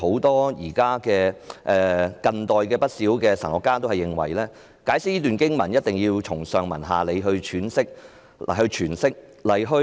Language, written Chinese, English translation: Cantonese, 但是，近代有不少神學家均認為，這段經文必須從上文下理來詮釋。, However quite many contemporary theologians consider that the Bible verses must be interpreted in context